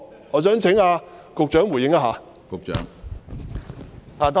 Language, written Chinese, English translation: Cantonese, 我想請局長回應。, I would like the Secretary to respond to this